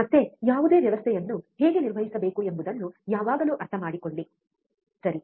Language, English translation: Kannada, Again, always understand how to operate any system, right